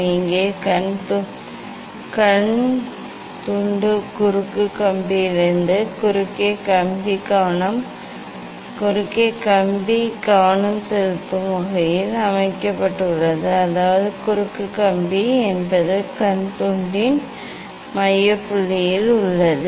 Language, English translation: Tamil, here eye piece is set at the distance from the cross wire in such a way that cross wire is focused; that means, cross wire is at the focal point of the eye piece